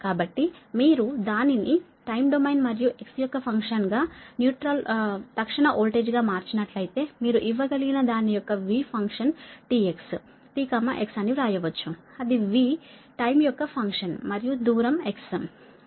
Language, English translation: Telugu, so if you transform it to a time domain, right, the instantaneous voltage as a function of time, t and x, you can give it, you can write v function of it is t x, t coma x, that is, v is a function of time and the distance x, right, is equal to